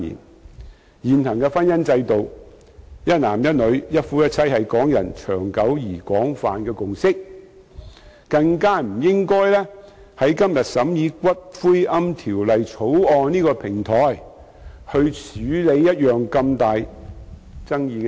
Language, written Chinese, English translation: Cantonese, 在現行的婚姻制度下，"一男一女"、"一夫一妻"是港人長久而廣泛的共識，不應在今天審議《私營骨灰安置所條例草案》的平台上處理如此具重大爭議的問題。, Under the existing marriage institution monogamy between one man and one woman is a long - standing and broad consensus among people in Hong Kong . Such an immensely controversial issue should not be dealt with on this platform for considering the Private Columbaria Bill today